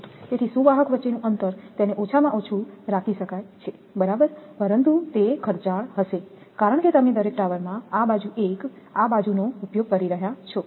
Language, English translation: Gujarati, So, distance between the conductor it can be kept a minimum right, but it will be expensive because you are using this side one , this side one in each tower